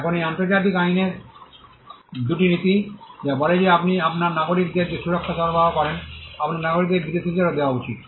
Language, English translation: Bengali, Now, these are two principles in international law, which says that the protection that you offer to your nationals, your citizens should be offered to foreigners as well